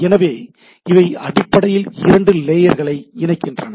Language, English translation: Tamil, So, they basically interfaces between the two layers right